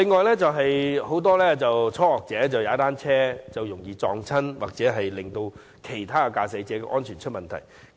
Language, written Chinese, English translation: Cantonese, 此外，很多初學踏單車的人士容易跌倒，影響到其他駕駛者的安全。, Moreover many beginner cyclists are susceptible to falling affecting the safety of other drivers